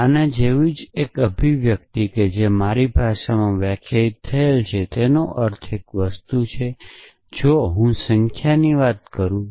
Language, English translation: Gujarati, So, a same expression like this which is defined in my language would mean one thing if I am talking about numbers